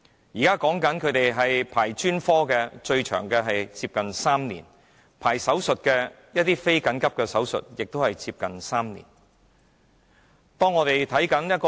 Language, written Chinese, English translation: Cantonese, 現時，專科服務的輪候時間最長為3年，而非緊急手術亦要輪候接近3年。, At present the longest waiting time for specialist services is three years whereas that for non - urgent operations is also nearly three years